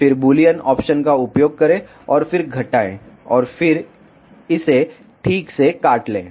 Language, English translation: Hindi, Then use Boolean option and then subtract and then cut this alright